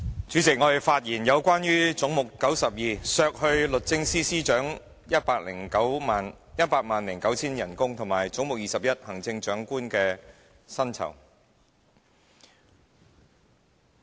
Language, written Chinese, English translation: Cantonese, 主席，我就總目92關於削減律政司司長 1,009,000 元薪酬的修正案，以及總目21關於行政長官薪酬的修正案發言。, Chairman I rise to speak on the amendment to head 92 regarding the reduction of the salary of the Secretary for Justice by 1,009,000 and the amendment to head 21 regarding the salary of the Chief Executive